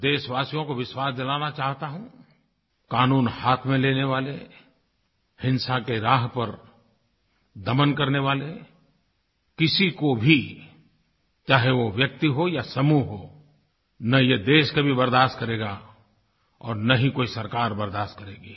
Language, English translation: Hindi, I want to assure my countrymen that people who take the law into their own handsand are on the path of violent suppression whether it is a person or a group neither this country nor any government will tolerate it